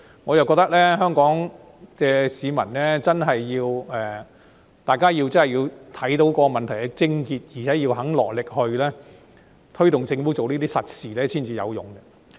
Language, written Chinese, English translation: Cantonese, 我覺得香港市民要真正看到問題癥結，並且肯落力推動政府做這些實事才會有用。, I think it will be helpful only if Hong Kong people really see the crux of the problem and are willing to push the Government to do these concrete things